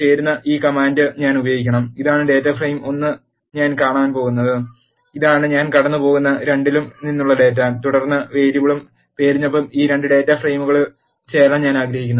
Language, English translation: Malayalam, I have to use this command left join, this is the data frame 1 I am passing in and this is the data from 2 I am passing in and then I want to join this 2 data frames by the variable name